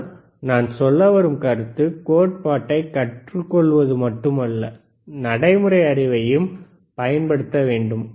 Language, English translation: Tamil, But the point is not only to learn theory, but to use the practical knowledge